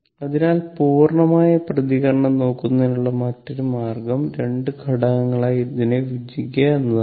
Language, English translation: Malayalam, So, another way of looking at the complete response is to break into two components